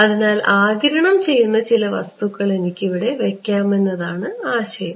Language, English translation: Malayalam, So, the idea is that maybe I can put some material over here that absorbs